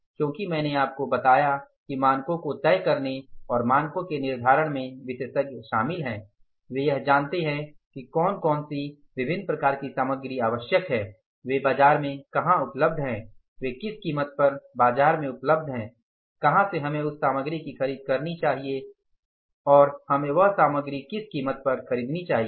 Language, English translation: Hindi, Because I told you that experts are involved in deciding the standards, fixing up the standard, they know it, what are the different types of materials are required, where they are available in the market, at what price they are available in the market, when we should procure that material and at what price we should procure that material from where we should procure the material